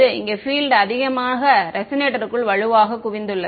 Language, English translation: Tamil, Here the field is much more strongly concentrated inside the resonator